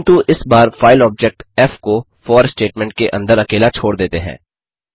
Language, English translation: Hindi, But, this time, lets leave alone the file object f and directly open the file within the for statement